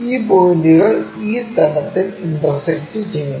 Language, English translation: Malayalam, These points intersect at this level